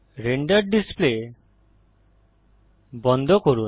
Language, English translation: Bengali, Close the Render Display